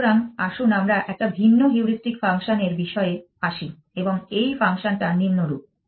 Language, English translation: Bengali, So, let us have a different heuristic function and this function is as follows